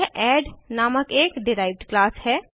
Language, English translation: Hindi, This is a derived class named add